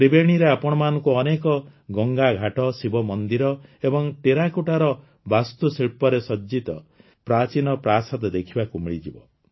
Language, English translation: Odia, In Tribeni, you will find many Ganga Ghats, Shiva temples and ancient buildings decorated with terracotta architecture